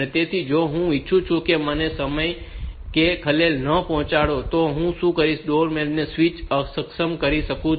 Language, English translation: Gujarati, So, I if I want that I should not be disturbed at this time, and then I can disable the doorbell switch